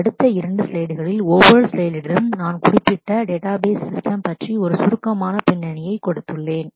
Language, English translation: Tamil, So, in the next couple of slides, I have for on each one slide, I have given a brief background about the particular database system